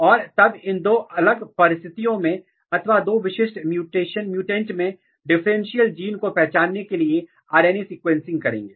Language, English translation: Hindi, And then perform RNA sequencing to identify the differential genes which are present in these two particular condition or two particular mutants